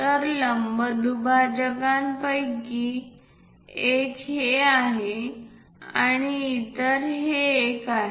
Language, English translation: Marathi, So, one of the perpendicular bisector is this one, other one is this